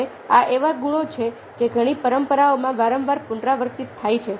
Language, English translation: Gujarati, now, these are the qualities which again and again, get retreated in many of the traditions